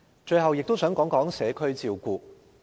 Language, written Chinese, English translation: Cantonese, 最後我亦想談談社區照顧。, In closing I would like to talk about community care